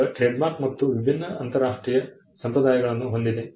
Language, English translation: Kannada, Now, trademark again has different international conventions